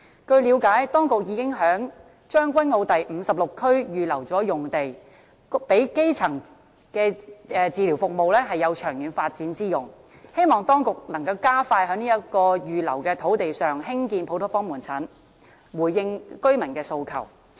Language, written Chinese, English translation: Cantonese, 據了解，當局已經於將軍澳第56區預留用地，供基層醫療服務長遠發展之用，希望當局能夠加快在這幅預留土地上興建普通科門診，回應居民的訴求。, As far as I understand it the authorities have reserved a site in Area 56 Tseung Kwan O for the long - term development of primary healthcare services . I hope the authorities can expedite the construction of a general outpatient clinic on this reserved site to address the residents demand